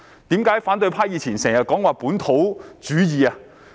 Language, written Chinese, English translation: Cantonese, 為何反對派以前經常說"本土主義"？, Why did the opposition often talk about localism in the past?